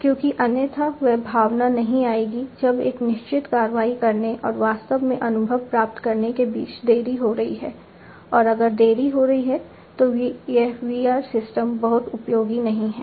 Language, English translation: Hindi, Because otherwise that feeling will not come if there is a delay between performing a certain action and actually getting the experience the perception if there is a delay, then you know this VR system is not going to be much useful